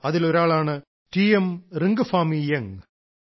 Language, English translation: Malayalam, One of these is T S Ringphami Young